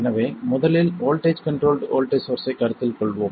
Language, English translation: Tamil, We have seen how to make a voltage controlled voltage source as well as a current controlled voltage source